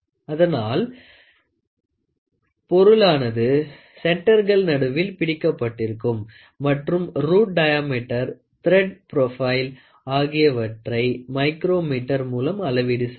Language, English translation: Tamil, So, the object is held between centres and then you try to measure the root diameter, the thread profile using this micrometer